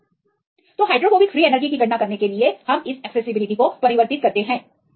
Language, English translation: Hindi, So, you can calculate the hydrophobic free energy